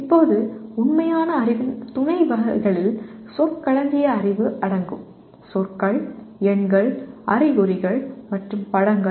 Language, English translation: Tamil, Now subtypes of factual knowledge include knowledge of terminology; words, numerals, signs, and pictures